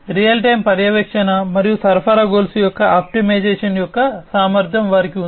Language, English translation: Telugu, And they have the capability of real time monitoring and optimization of the supply chain